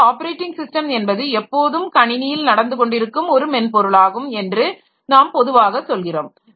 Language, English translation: Tamil, So, we will say that operating system is something that is always running in the system